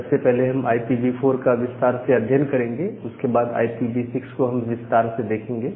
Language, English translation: Hindi, So, we will first look into IPv4 in details, and then we will go to go to the details of IP version 6 or IPv6